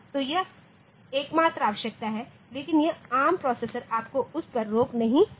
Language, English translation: Hindi, So, that is the only requirement, but this arm processor will not stop you to that